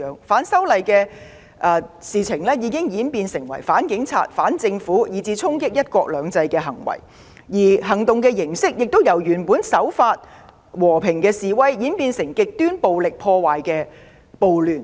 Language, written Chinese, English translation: Cantonese, 反修例行動已演變成反警察、反政府，以至衝擊"一國兩制"的行為；行動形式亦由原來的和平守法示威演變成極端暴力破壞的暴亂。, Acts against the proposed legislative amendments have now evolved into anti - police acts anti - government acts and even acts against one country two systems . Originally peaceful and lawful protests have now given way to riots with extremely violent vandalistic acts